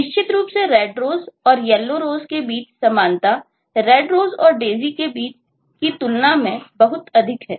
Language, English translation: Hindi, certainly the similarity between the red rose and the yellow rose is lot more than what it is between a red rose and a daisy